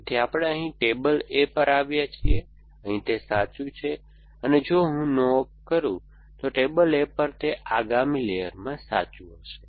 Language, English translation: Gujarati, So, this we have been here on table A was true here and if I do a no op then on table A will be true in the next layer essentially